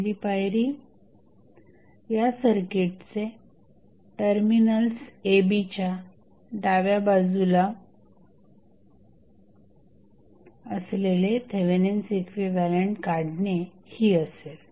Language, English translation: Marathi, the first step would be to find the Thevenin equivalent of this circuit which is left to the terminals AB